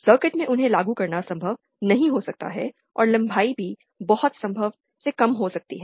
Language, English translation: Hindi, It might not be possible to implement them in a circuit and also the lengths might be too small then that what is feasible